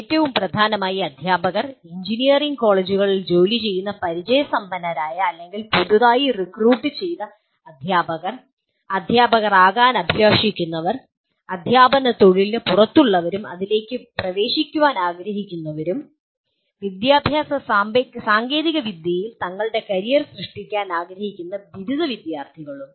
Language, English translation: Malayalam, Most importantly the working teachers, either the experienced or newly recruited teachers in engineering colleges, aspiring teachers, those who are outside the teaching profession and want to get into this and also graduate students who wish to make their careers in education technology